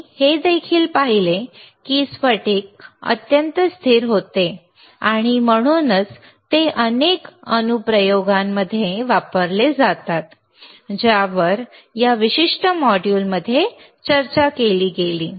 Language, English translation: Marathi, We also saw that these crystals wereare extremely stable and hence they are used in many applications, which were discussed in this particular module